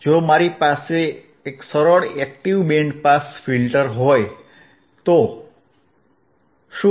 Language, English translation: Gujarati, So, what if I have a simple active band pass filter